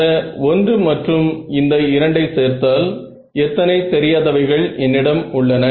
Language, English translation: Tamil, If I combine so, combine this 1 and this 2, how many unknowns do I have